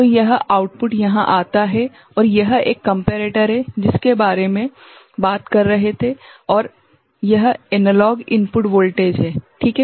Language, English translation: Hindi, So, this output comes over here and that is a comparator that I was talking about right and this is the analog input voltage right